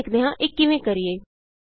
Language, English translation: Punjabi, Let us learn how to do it